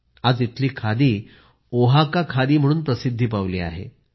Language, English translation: Marathi, Today the khadi of this place has gained popularity by the name Oaxaca khaadi